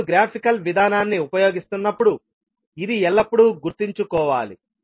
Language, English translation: Telugu, So this you have to always keep in mind when you are using the graphical approach